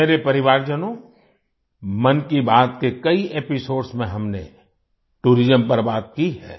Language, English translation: Hindi, My family members, we have talked about tourism in many episodes of 'Mann Ki Baat'